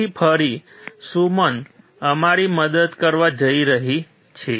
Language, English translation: Gujarati, So, again Suman is going to help us